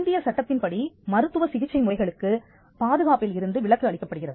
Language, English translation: Tamil, There is a medical method of treatment are exempted from protection under the Indian act